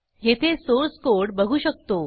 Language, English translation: Marathi, We can see the source code here